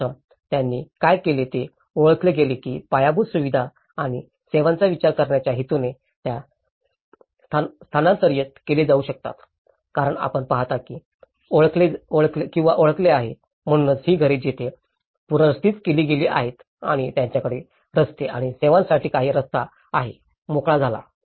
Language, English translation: Marathi, First, what they did was they identified that could be relocated in order to plan for infrastructure and services because you look at or identified so that is where and these are, these houses have been relocated and they have some passage for roads and services has been freed up